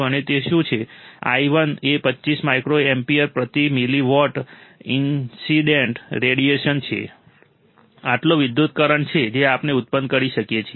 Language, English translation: Gujarati, And what is that, i1 is 25 microampere per milliwatt of incident radiation, this much is the current that we can generate